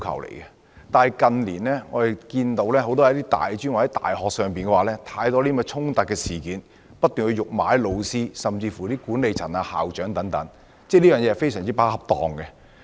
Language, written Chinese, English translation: Cantonese, 可是，近年我們看到大專院校多次發生學生辱罵老師、管理層及校長等事件，學生的行為極不恰當。, Nevertheless in the past few years there were repeated incidents in which teachers management staff and Vice Chancellors were insulted by students . The behavior of those students was grossly inappropriate